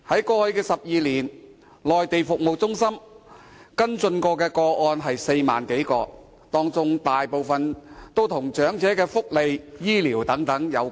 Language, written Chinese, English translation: Cantonese, 過去12年，內地中心曾跟進的個案有4萬多個，當中大部分均與長者福利、醫療等有關。, In the past 12 years the Mainland Centres handled up some 40 000 cases most of which related to elderly welfare medical care etc